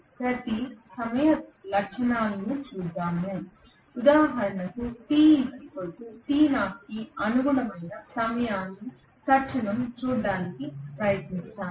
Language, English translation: Telugu, Let me look at each of the time instants, for example let me try to look at the time instant corresponding to t equal to t knot probably